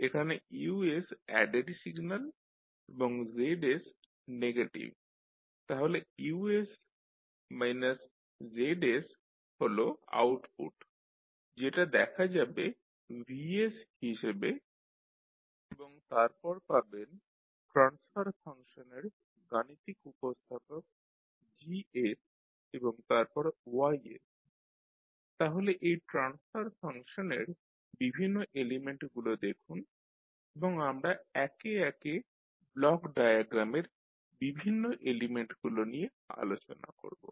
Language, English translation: Bengali, So here you have Us as an added signal and Zs is a negative, so Us minus Zs is the output which you will see as Vs and then the mathematical representation of the transfer function that is Gs you will have and then you have the Ys, so you will see different elements in this particular block diagram and we will discuss the different elements which we will see in the block diagram one by one